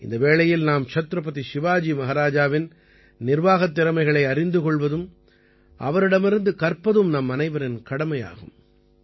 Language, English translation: Tamil, It is the duty of all of us to know about the management skills of Chhatrapati Shivaji Maharaj on this occasion, learn from him